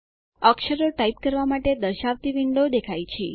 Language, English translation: Gujarati, A window that displays the characters to type appears